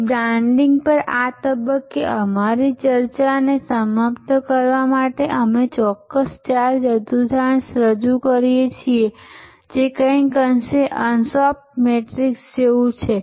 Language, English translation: Gujarati, So, to conclude an our discussion at this stage on branding we present this particular four quadrant somewhat similar to the ansoff matrix